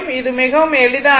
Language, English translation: Tamil, This is very easy